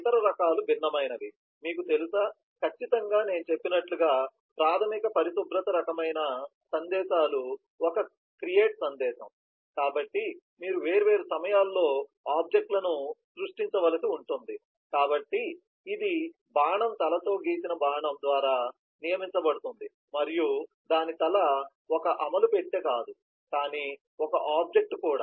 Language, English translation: Telugu, of the other types are various, you know, certainly the basic hygiene kind of messages as i said, is a create message, so you will need to create objects at different points of time, so this is designated by a dashed arrow head and the head of it is not an execution box, but is an object itself